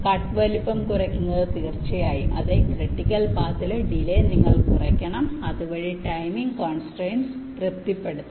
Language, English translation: Malayalam, reducing cut size is, of course, yes, you have to minimize the delay in the critical paths, thereby satisfying the timing constraints